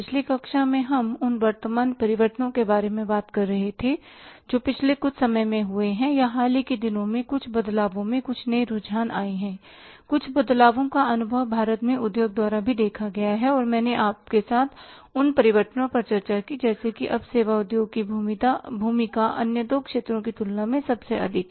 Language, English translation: Hindi, So, in the previous class we were talking about the current changes which we have taken place in the past some period of time or in the some recent past some changes, some new trends have come up, some changes have been experienced or seen by the industry in India also and I discussed with you those changes that now the role of the service industry is the highest or the biggest as compared to the other two sectors